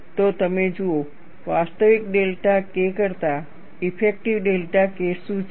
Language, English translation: Gujarati, So, you look at, what is the effective delta K, rather than the actual delta K